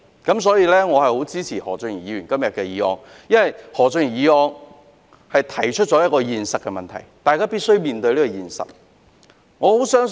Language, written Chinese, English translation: Cantonese, 因此，我十分支持何俊賢議員今天動議的議案，因為他的議案指出了一個現實問題，是大家必須面對的。, Therefore I strongly support the motion moved by Mr Steven HO today as his motion has highlighted a real - life problem that we must face